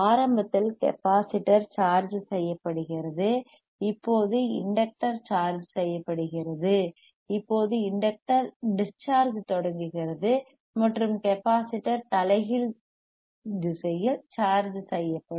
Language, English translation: Tamil, ; Iinitially the capacitor is charged, now the inductor is charged, now the inductor starts discharging and capacitor will charge charging in reverse direction